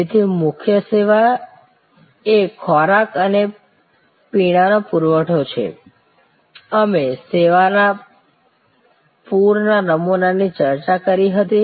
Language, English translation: Gujarati, So, the core service is supply of food and beverage, we had discussed that model of flower of service